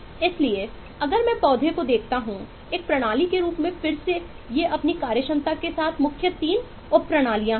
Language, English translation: Hindi, so if I look at the plant as a system, then these are the main 3 subsystems with their functionalities